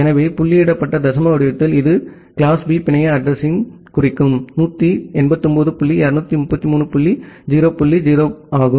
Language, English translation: Tamil, So, in the dotted decimal format it is 189 dot 233 dot 0 dot 0 that denotes class B network address